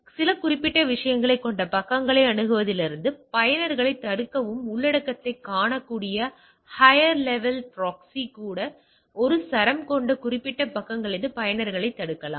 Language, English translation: Tamil, Prevent user from accessing pages containing some specified things even the higher level proxy where the content can be seen where which can prevent user from specified pages which having a string